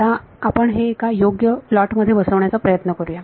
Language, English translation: Marathi, So, we will try to put this on a proper plotting now ok